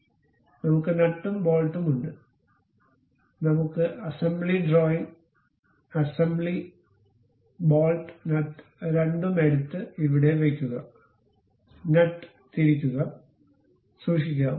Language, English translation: Malayalam, So, we have both nut and bolt, we can go with assembly drawing, assembly, ok, pick bolt nut both the things, drop it here, insert nut also and keep it